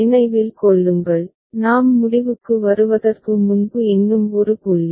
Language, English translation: Tamil, And remember, just one more point before we conclude